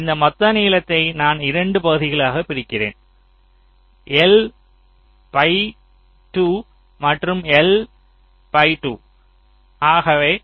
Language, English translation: Tamil, i break this total length into two parts: l by two and l by two